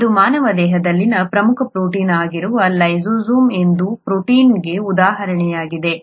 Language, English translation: Kannada, This is an example of a protein called lysozyme which is an important protein in the human body